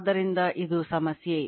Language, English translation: Kannada, So, this is the answer